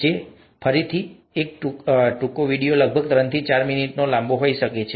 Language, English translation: Gujarati, This is about again a short video, may be about three to for minutes long